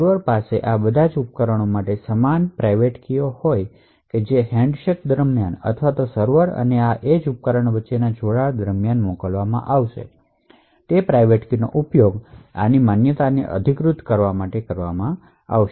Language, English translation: Gujarati, The server would also, have the same private keys for all the devices that is connected to and it would send, during the handshake or during the connection between the server and this edge device, the private keys would be used to authenticate the validity of this device